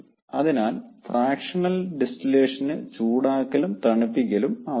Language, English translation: Malayalam, so fractional distillation needs heating and also its needs cooling